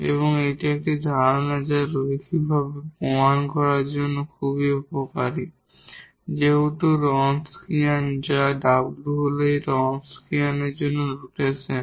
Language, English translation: Bengali, And one concept which is very useful to prove this linear independence since the Wronskian which is W this is the notation for the Wronskian we will define in a minute what is Wronskian